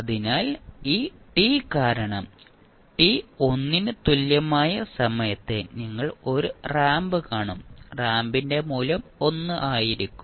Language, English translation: Malayalam, So, because of this t you will see a ramp at time t is equal to 1 you will get the value of ramp as 1